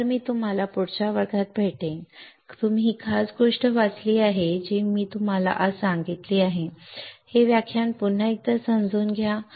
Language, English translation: Marathi, So, I will see you in the next class you read this particular things that I have told you today understand this lecture once again right